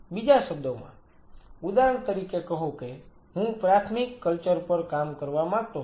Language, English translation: Gujarati, in other word say for example, I wanted to work on primary cultures